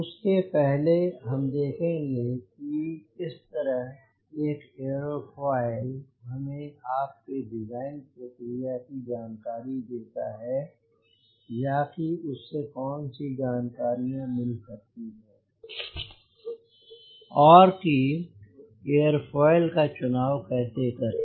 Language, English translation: Hindi, but before that, i want to focus on how an airfoil gives us information regarding your design process, or what are the information we get, or how to choose an airfoil